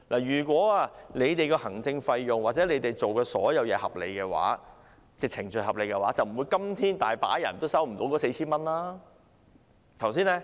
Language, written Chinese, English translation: Cantonese, 如果行政費或政府所有做事的程序都合理，今天便不會有很多人仍未收到那 4,000 元。, If the administration fees and all the procedures taken by the Government are reasonable there should not be so many people who have yet to get the 4,000 as of today